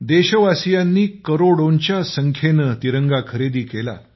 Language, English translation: Marathi, The countrymen purchased tricolors in crores